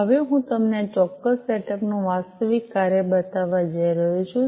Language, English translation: Gujarati, Now, I am going to show you the actual working of this particular setup